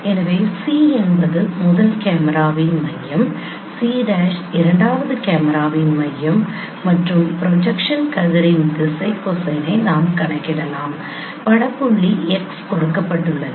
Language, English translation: Tamil, So C is the center of the first camera, C prime is the center of the second parameter and we can compute the direction cosine of the projection ray given the image point x